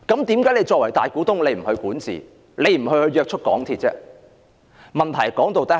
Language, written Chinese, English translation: Cantonese, 政府作為大股東，為何不管治、約束港鐵公司？, As the majority shareholder why should the Government not exercise governance of MTRCL and put it under control?